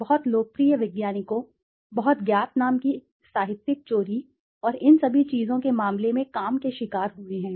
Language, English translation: Hindi, Very popular scientists, very known names have also fallen prey to the work, through the case of plagiarism and all these things